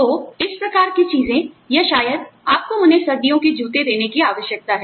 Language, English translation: Hindi, So, you know, these kinds of things, or maybe, you need to give them, winter shoes